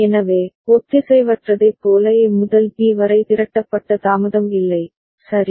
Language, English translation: Tamil, So, there is no accumulated delay from A to B like asynchronous, right